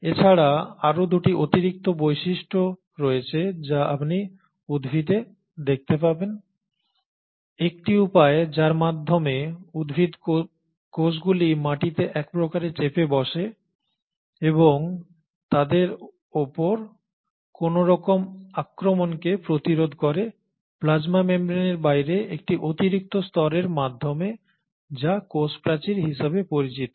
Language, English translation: Bengali, In addition to that there are 2 additional features which you see in plants, one way by which the plant cells kind of hold on to the ground and resist any kind of attack on them is by having an extra layer outside the plasma membrane which is called as the cell wall